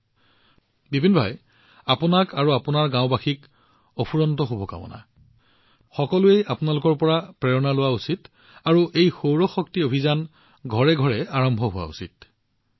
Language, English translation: Assamese, Fine, Vipin Bhai, I wish you and all the people of your village many best wishes and the world should take inspiration from you and this solar energy campaign should reach every home